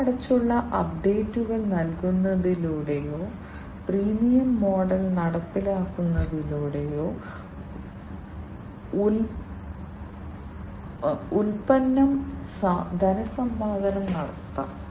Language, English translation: Malayalam, The product can be monetized by providing paid updates or by implementing a freemium model